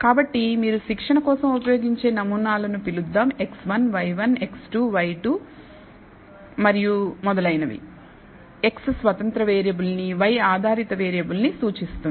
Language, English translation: Telugu, So, let us call the samples that you use for training as x 1, y 1, x 2, y 2 and so on where x represents the independent variable, y is the dependent variable